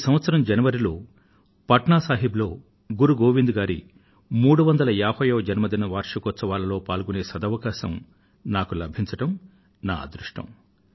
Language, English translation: Telugu, I'm fortunate that at the beginning of this year, I got an opportunity to participate in the 350th birth anniversary celebration organized at Patna Sahib